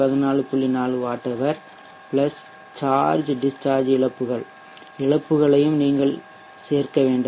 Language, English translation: Tamil, 4 watt hours night load plus you have to include also the charge discharge losses so we have the